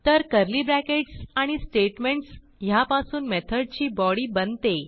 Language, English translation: Marathi, While the curly brackets and the statements forms the body of the method